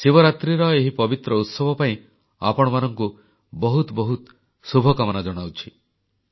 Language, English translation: Odia, I extend felicitations on this pious occasion of Mahashivratri to you all